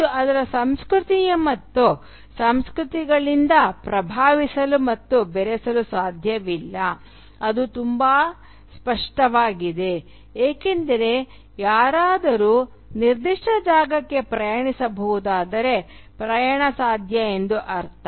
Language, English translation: Kannada, And consequently its culture cannot but be influenced by and mixed with other cultures which is very obvious because if someone can travel into a particular space, it means that travel is possible